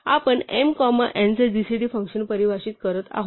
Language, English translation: Marathi, So, we are defining a function gcd of m comma n